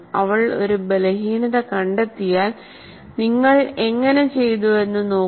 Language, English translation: Malayalam, If she spots weakness, she says, look at how you have done